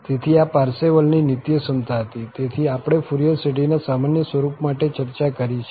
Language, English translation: Gujarati, So, this was the Parseval's identity, which we have discussed for the normal form of the Fourier series